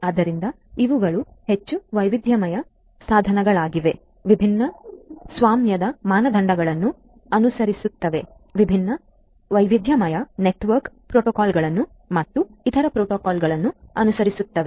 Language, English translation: Kannada, So, these are highly heterogeneous devices, following different different own proprietary standards, following different heterogeneous protocols using different heterogeneous protocols network protocols and other protocols and so on